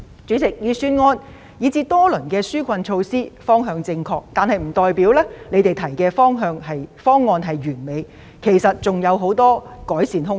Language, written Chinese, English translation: Cantonese, 主席，雖然預算案及多輪紓困措施的方向正確，但這並不表示所提出的方案完美，其實還有很多改善空間。, President although the direction of the Budget and various rounds of relief measures is correct it does not mean that the proposals are perfect as there is still much room for improvement